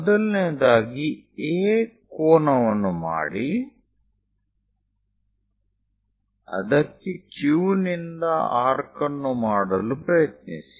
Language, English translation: Kannada, For that purpose, what we do is; first of all make an angle A, from there try to make an arc from the Q